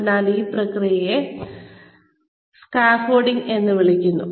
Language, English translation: Malayalam, So, this process is called scaffolding